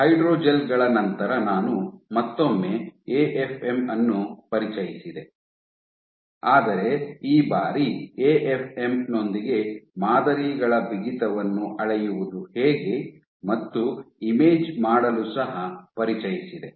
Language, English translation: Kannada, After hydrogels I introduced AFM once more, but this time I introduced it how to measure properties of in how to measure stiffness of samples with AFM and also to image